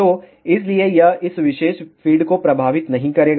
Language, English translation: Hindi, So, hence this will not affect this particular feed